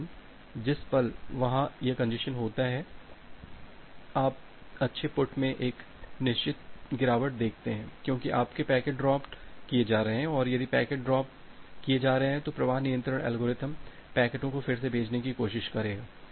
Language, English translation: Hindi, But at the moment there is this congestion, you see a certain drop in the good put because your packets are getting dropped and if packets are getting dropped, the flow control algorithm will try to retransmit the packets